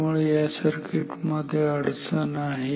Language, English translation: Marathi, So, this circuit has a problem